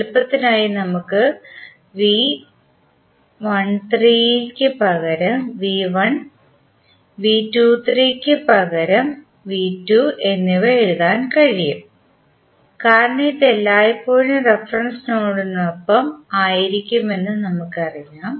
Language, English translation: Malayalam, For simplicity we can write V 1 as in place of V 13 and V 2 in place of V 23 because we know that this is always be with reference to reference node